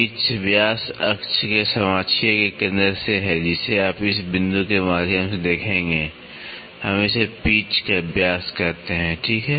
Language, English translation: Hindi, Pitch diameter is from centre of the coaxial of the axis you will see through this point, we call it as the pitch diameter, ok